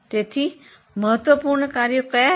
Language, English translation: Gujarati, So, what are the important business functions